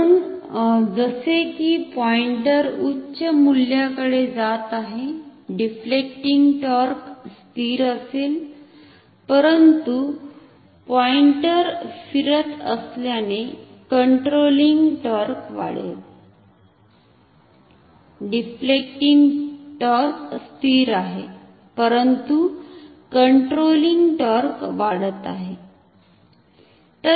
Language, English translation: Marathi, So, as the pointer is moving towards a higher value the deflecting torque will be constant, but the controlling torque will increase as the pointer is moving, the deflecting torque is constant, but the controlling torque is increasing